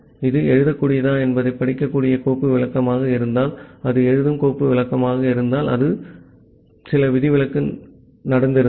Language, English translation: Tamil, If it is a read file descriptor whether it is writable, if it is a write file descriptor or some exception has happened